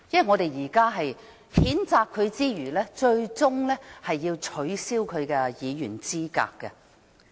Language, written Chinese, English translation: Cantonese, 我們除了譴責他外，最終是要取消他的議員資格。, In addition to censuring him we eventually want to disqualify him from office